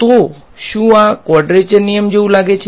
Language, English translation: Gujarati, So, does this look like a quadrature rule